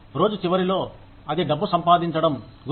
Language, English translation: Telugu, At the end of the day, it is all about making money